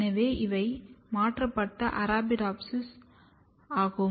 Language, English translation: Tamil, So, these are the transformed Arabidopsis